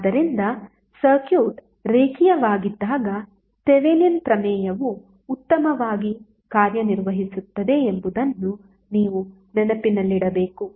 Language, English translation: Kannada, So you have to keep in mind that the Thevenin’s theorem works well when the circuit is linear